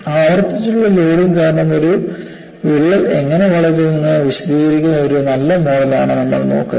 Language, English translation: Malayalam, Now, what we will look at is, we look at a reasonably a good model which explains how a crack grows, because of repeated loading